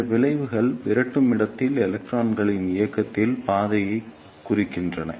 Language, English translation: Tamil, These curves represent the path of movement of electrons in repeller space